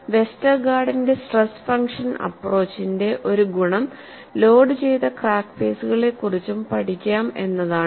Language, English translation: Malayalam, So, one of the advantages of the Westergaard's stress function approach is, one can also steady loaded crack phases